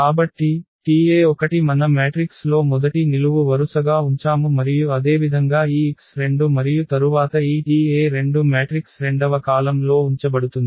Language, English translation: Telugu, So, T e 1 if we place as a first column in our matrix and similarly this x 2 and then this T e 2 placed in the matrices second column